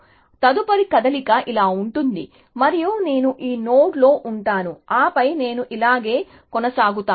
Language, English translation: Telugu, So, the next move would be like this and then I would be in this node, and then I would continue like this